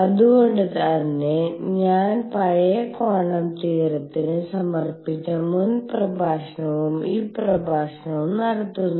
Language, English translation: Malayalam, That is why I am doing this the previous lecture and this lecture devoted to old quantum theory